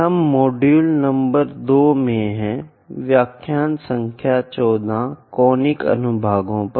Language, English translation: Hindi, We are in module number 2, lecture number 14 on Conic Sections